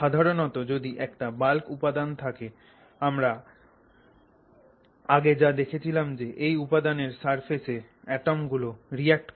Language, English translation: Bengali, So, normally if you have a bulk, bulk material, what happens is again as we saw the it is the atoms at the surface that react